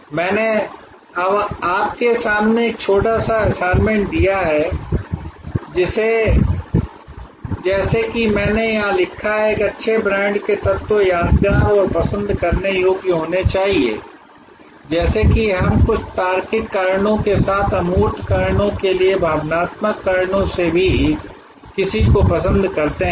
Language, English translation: Hindi, I have now, given a small assignment for you in front of you like I have written here the elements of a good brand should be memorable and likeable just as we like somebody for some logical reasons as well as for emotional reasons for intangible reasons